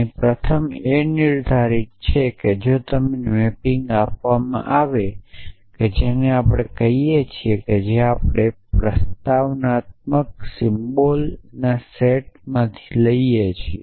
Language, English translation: Gujarati, We will come to that a bit later first you all the defined that if you are given the mapping a which we call we which takes you from the set of propositional symbols to this